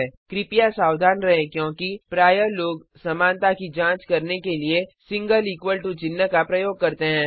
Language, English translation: Hindi, Please be careful because, often people use a single equal to symbol for checking equality